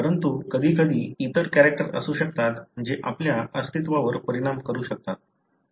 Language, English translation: Marathi, But at times there could be other characters which could affect your survival